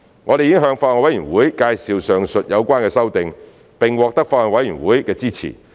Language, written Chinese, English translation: Cantonese, 我們已向法案委員會介紹上述有關的修訂，並獲得法案委員會的支持。, We have briefed the Bills Committee on the above amendments and the Bills Committee has indicated its support